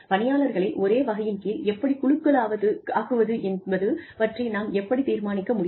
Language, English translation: Tamil, How do we decide, you know, how to group people, into the same category